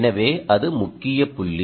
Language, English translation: Tamil, so thats the key point